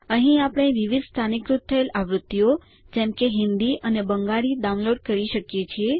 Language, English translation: Gujarati, Here, we can download various localized versions, such as Hindi or Bengali